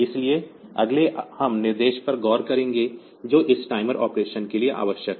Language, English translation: Hindi, So, next we will look into the instructions, that are that can be that are required for this timer operation